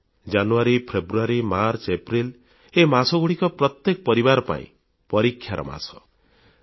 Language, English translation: Odia, January, February, March, April all these are for every family, months of most severe test